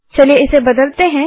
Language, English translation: Hindi, Lets change it